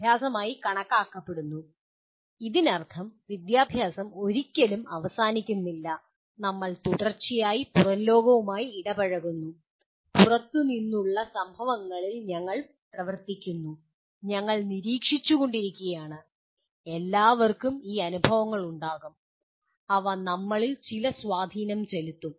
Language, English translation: Malayalam, And education in this sense never ends, we are continuously interacting with outside world, we are acting on events outside and we are observing and all of them will have these experiences, will have some influence on us